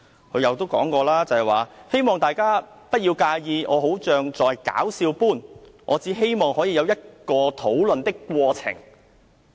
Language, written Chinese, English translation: Cantonese, 他又說："希望大家不要介意我好像在'搞笑'般，我只希望可以有一個討論的過程。, He also stated I look hilarious but it is hoped that Members do not mind this . I just want to start a course of debate